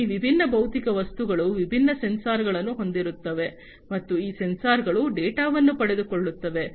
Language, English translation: Kannada, So, these different physical objects will have different sensors, and these sensors will acquire the data